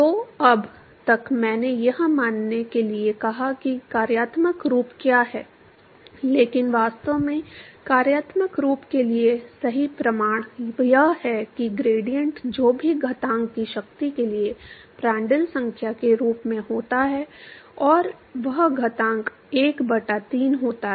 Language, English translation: Hindi, So, far I asked to assume what is the functional form, but actually the correct proof for the functional form is that the gradient scales as Prandtl number to the power of whatever exponent, and that exponent tends out be 1 by 3